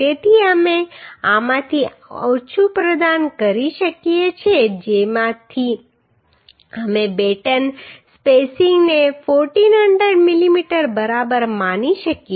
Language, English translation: Gujarati, So we can provide lesser of this so we can assume the batten spacing as 1400 mm right